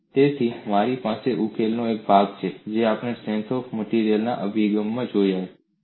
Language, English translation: Gujarati, So, I have a part of the solution is same as what we have seen in the strength of materials approach